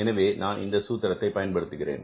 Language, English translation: Tamil, So, how I am using this formula